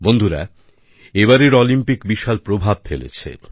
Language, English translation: Bengali, this time, the Olympics have created a major impact